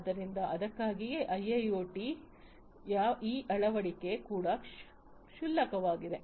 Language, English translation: Kannada, So, that is why you know this adoption of IIoT is also very non trivial